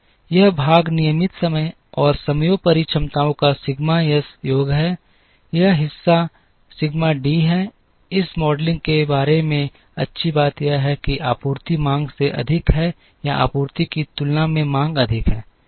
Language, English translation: Hindi, This part is sigma S sum of the regular time and overtime capacities, this part is sigma D, the nice thing about this modelling is that, whether supply is greater than demand or demand is greater than supply